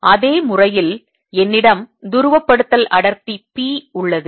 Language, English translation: Tamil, so in the same manner i have polarization density, p